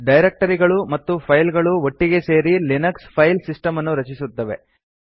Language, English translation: Kannada, Files and directories together form the Linux File System